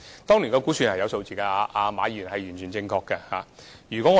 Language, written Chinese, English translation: Cantonese, 當年是有估算數字的，馬議員完全正確。, Mr MA is absolutely correct in saying that there was a projected number made in that year